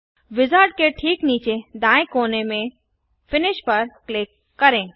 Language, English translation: Hindi, Click Finish at the bottom right corner of the wizard